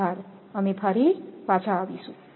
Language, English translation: Gujarati, Thank you will be back again